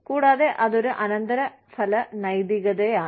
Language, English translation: Malayalam, And, it is a consequentialist ethic